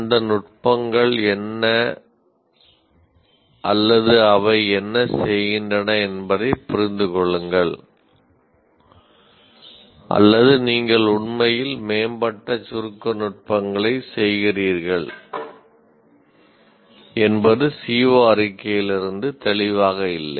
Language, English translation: Tamil, Merely understand what those techniques or what do they perform or you actually perform advanced compression techniques is not clear from the CBO statement